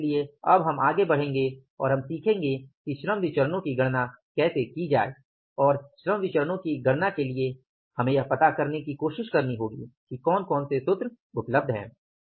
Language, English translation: Hindi, So, now we will go ahead and we will learn about how to calculate the labor variances and for calculating the labor variances we will have to try to find out what are the formulas available